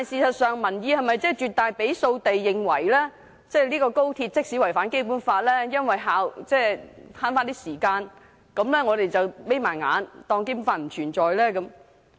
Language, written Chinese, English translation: Cantonese, 然而，民意是否真的絕大多數認為，即使"一地兩檢"違反《基本法》，但為了節省時間，我們就應閉上眼當《基本法》不存在？, However is it true that the majority public really hold the view that even the co - location arrangement violates the Basic Law we should keep our eyes shut and ignore the Basic Law just for the sake of saving time?